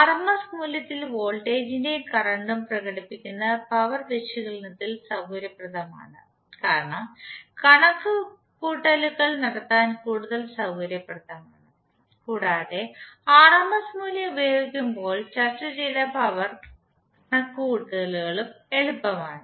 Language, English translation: Malayalam, It is convenient in power analysis to express voltage and current in their rms value because it is more convenient to do the calculations and the power calculations which is discussed is also easy when we use the rms value